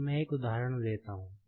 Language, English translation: Hindi, Now, let me take one example